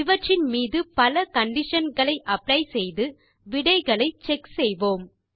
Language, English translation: Tamil, We can apply different conditions on them and check the results